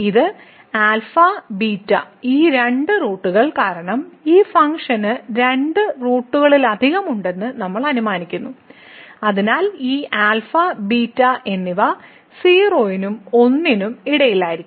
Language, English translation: Malayalam, So, this alpha beta these two roots because, we have assume that this function has more than two roots so, these alpha and beta will be between less between 0 and 1